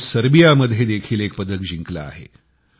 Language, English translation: Marathi, She has won a medal in Serbia too